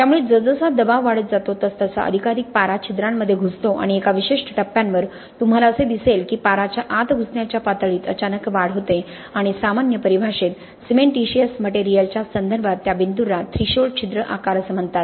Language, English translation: Marathi, So as the pressure increases, more and more mercury intrudes the pores right and at a certain point you will see that there is a sudden increase in the levels of intrusion of the mercury and that point in general terminology with respect to cementitious materials is called the threshold pore size